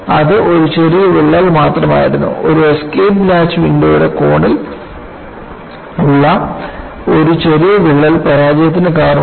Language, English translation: Malayalam, It was only a small crack; a small crack in the corner of an escape latch window has caused the failure